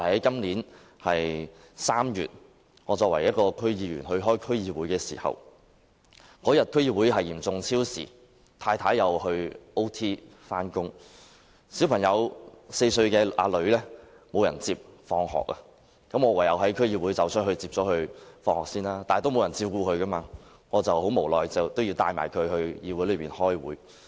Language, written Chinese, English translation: Cantonese, 今年3月，由於我是區議員，當天要出席區議會會議，會議嚴重超時，而我太太亦要超時工作，以致無人接我的4歲女兒放學，我唯有先離開會議場地接她放學，但由於沒有人照顧她，我無奈地帶她到區議會開會。, One day in March this year I had to attend a District Council meeting as I was a District Council member . As the meeting seriously overran and my wife had to work overtime both of us could not pick up my four - year - old daughter from school . So I left the meeting venue to pick her up from school but as there was nobody to take care of her I had no choice but brought her to the District Council for the meeting